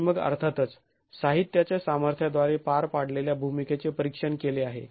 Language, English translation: Marathi, And then of course we have already examined the role played by the material strengths